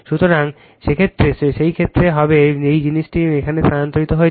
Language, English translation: Bengali, So, in that case what will happen at all this thing transferred to here